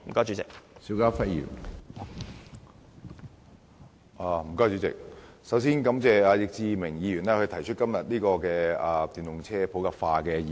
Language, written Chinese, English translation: Cantonese, 主席，我首先感謝易志明議員今天提出"推動電動車普及化"的議案。, President I first wish to thank Mr Frankie YICK for proposing the motion on Promoting the popularization of electric vehicles today